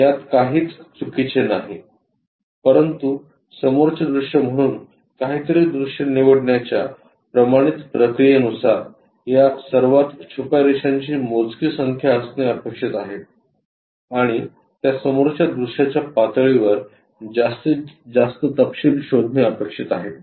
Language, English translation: Marathi, There is nothing wrong, but the standard procedure to pick something as ah front view as supposed to have this fewest number of hidden lines and is supposed to explore as many details as possible at that front view level